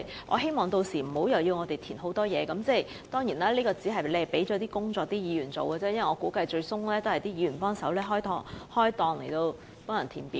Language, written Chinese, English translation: Cantonese, 我希望屆時無須填報大量資料，而其實這是把工作推給議員，因為我估計最終也要由議員負責協助市民填表。, I hope by the time of applications are open applicants will not be required to fill in a lot of information―a responsibility Members may well have no choice but to assume as those forms may ultimately be filled with the assistance of Members I reckon